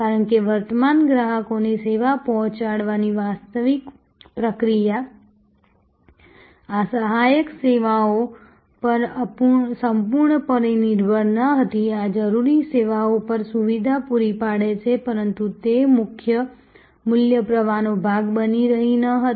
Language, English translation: Gujarati, Because, the actual process of delivering service to the current customers was not entirely dependent on these auxiliary services, these are facilitating on necessary services, but they were not forming the part of the main value stream